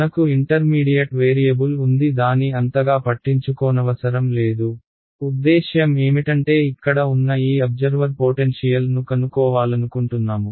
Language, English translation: Telugu, There will be some intermediate variable which I do not actually care so much about; I mean this observer over here just wants to know potential